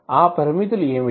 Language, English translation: Telugu, What are those limitations